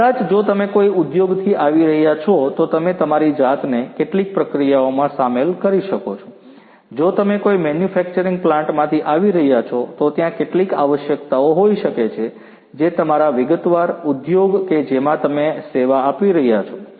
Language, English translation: Gujarati, Maybe if you are coming from an industry, you might yourself be involved in certain processes, maybe if you are coming from a manufacturing plant, there might be certain requirements that might be already there in your particular industry in which you are serving